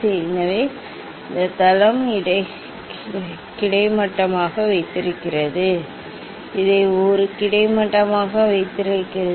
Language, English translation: Tamil, And so, this base is keeping this one is horizontal, keeping this one a horizontal